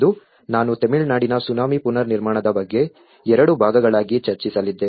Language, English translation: Kannada, Today, I am going to discuss about Tsunami Reconstruction in Tamil Nadu in two parts